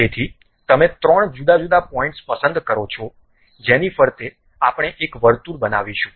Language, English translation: Gujarati, So, you pick three different points around which we are going to construct a circle